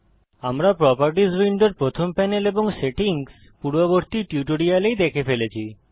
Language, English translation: Bengali, We have already seen the first panel of the Properties window and the settings in the previous tutorial